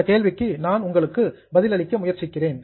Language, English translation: Tamil, Okay, I'll try to respond to your question